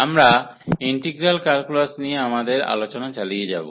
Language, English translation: Bengali, And we will be continuing our discussion on integral calculus